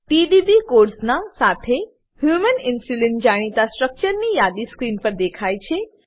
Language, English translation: Gujarati, A list of known structures of Human Insulin along with the PDB codes appear on screen